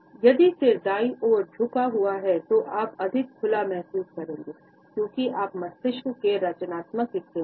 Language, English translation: Hindi, If the head is tilted to the right, you will feel more open, as you are existing the creative part of the brain